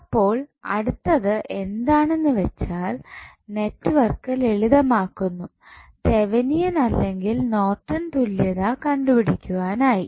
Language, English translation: Malayalam, So, what next is that network a simplified to evaluate either Thevenin's orNorton's equivalent